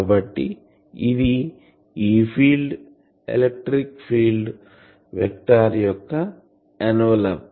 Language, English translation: Telugu, So, this is the envelope of the electric field vector envelope of E field